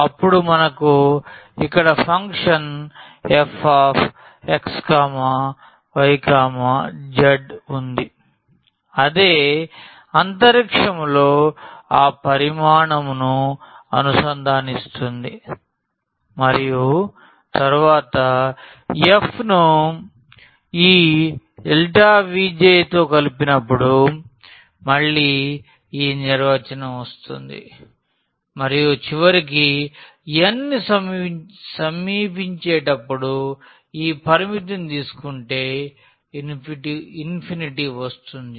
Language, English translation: Telugu, Then we have the function here f x y z integrating over that volume in space and then the definition is coming again from the sum when we have added this f with this delta V j and at the end taking this limit as n approaches to infinity